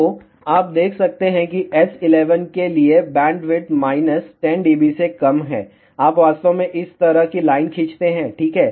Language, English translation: Hindi, So, you can see that bandwidth for S11 less than minus 10 db, you actually draw the line like this here ok